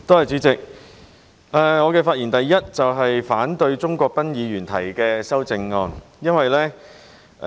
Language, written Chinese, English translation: Cantonese, 主席，我的發言首先是反對鍾國斌議員提出的修正案。, Chairman first of all I will speak to oppose the amendments proposed by Mr CHUNG Kwok - pan